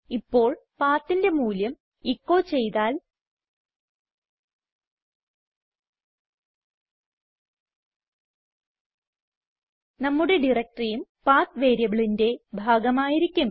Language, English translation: Malayalam, Now if we echo the value of PATH, Our added directory will also be a part of the PATH variable